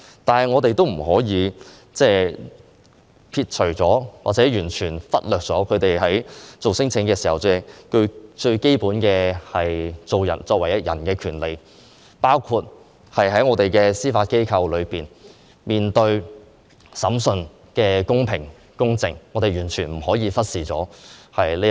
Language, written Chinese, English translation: Cantonese, 但是，我們也不可以完全忽略他們在作出聲請時，作為人應該享有的基本權利，包括在面對司法機構的審訊時，應接受公平公正的審訊，我們不可以忽視這一點。, Nevertheless when they file their claims we cannot completely ignore their entitled basic human rights including their right to a fair and equitable trial when facing a trial from the Judiciary which we cannot neglect